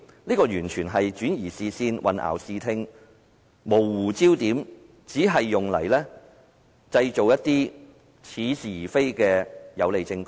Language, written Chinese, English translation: Cantonese, 這完全是轉移視線、混淆視聽，模糊焦點，只是用來製造一些似是而非的有利證供。, This is entirely diverting attention obscuring the facts and blurring the focus only to create favourable evidence which is apparently right but actually wrong